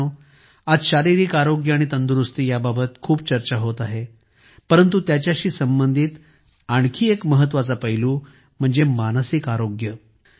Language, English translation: Marathi, Friends, today there is a lot of discussion about physical health and wellbeing, but another important aspect related to it is that of mental health